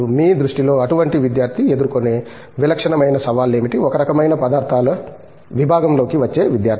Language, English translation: Telugu, In your view, what are the typical kinds of challenges such student face especially, letÕs say coming into a materials kind of a department